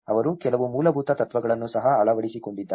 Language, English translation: Kannada, They have also adopted some basic principles